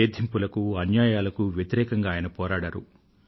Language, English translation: Telugu, He fought against oppression & injustice